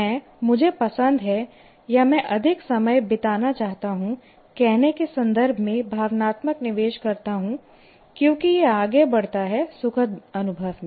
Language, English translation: Hindi, So I put emotional investment in that in terms of saying that I like, I want to spend more time and because it leads a certain pleasurable experiences and so on